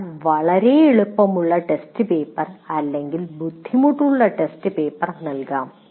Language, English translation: Malayalam, And what happens is one may be giving a very easy test paper or a difficult test paper